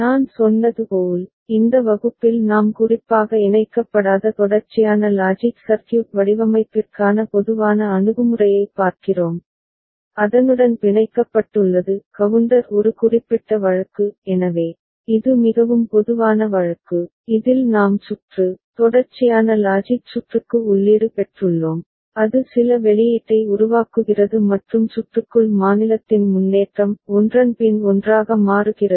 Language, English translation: Tamil, And as I said, in this class we are looking at more general approach for sequential logic circuit design not specifically tied, being tied with counter was a specific case; so, this is a more general case, in which we have got input to the circuit, sequential logic circuit and it is generating certain output and inside the circuit tthere is an advancement of state; changes one after another ok